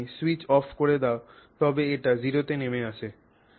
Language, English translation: Bengali, If you switch it off, it drops to zero